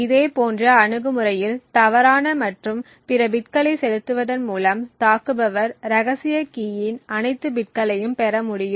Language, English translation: Tamil, In a similar approach by injecting false and all other bits the attacker would be able to obtain all the bits of the secret key